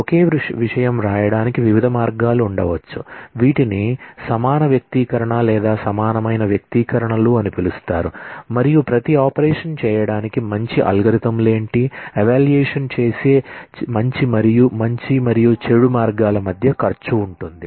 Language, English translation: Telugu, There could be different ways to write the same thing, these are called equivalence expression, equivalent expressions and what are the good algorithms for doing each and every operation, there is a cost between good and bad way of evaluating